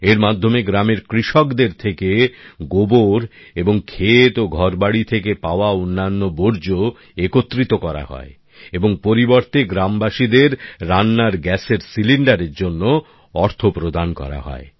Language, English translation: Bengali, Under this model, dung and other household waste is collected from the farmers of the village and in return the villagers are given money for cooking gas cylinders